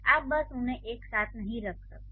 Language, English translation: Hindi, You cannot just put them together